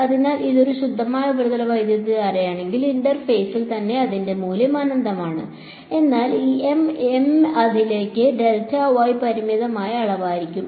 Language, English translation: Malayalam, So, if it is a pure surface current only then in the sense that at the interface itself its value is infinite right, but this M into delta y that will be a finite quantity ok